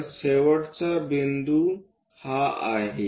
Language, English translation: Marathi, So, the end point is this